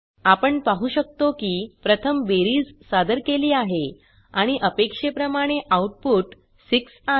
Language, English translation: Marathi, As we can see, addition has been performed first and the output is 6 as expected